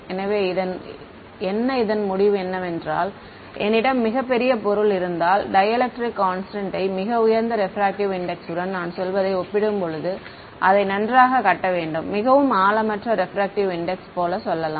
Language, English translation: Tamil, So, what are the so, what is the sort of conclusion of this is that, if I have an object with a very large dielectric constant very high refractive index I need to grid it finer compared to let us say a very shallow refractive index ok